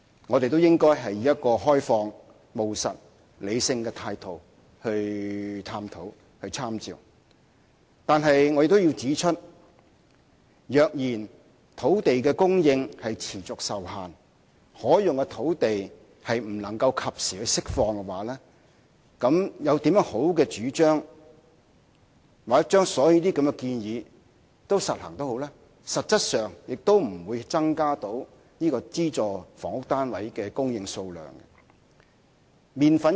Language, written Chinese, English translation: Cantonese, 我們應以一個開放、務實和理性的態度進行探討，但我亦要指出，如果土地供應持續受限，可用的土地不能及時釋放，則無論有多好的主張，又或將這些建議全都付諸實行，實質上亦不會增加資助房屋單位的供應數量。, We should keep an open mind and explore these ideas in a pragmatic and rational manner . However I must point out that if land supply continues to be restricted and usable land cannot be released in time no matter how good such ideas are or even if all the proposals are implemented the supply of subsidized housing units will not be increased substantially